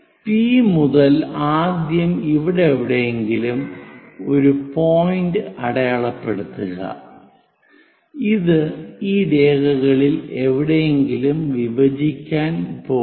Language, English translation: Malayalam, From P first of all mark a point somewhere here and this one going to intersect somewhere on this lines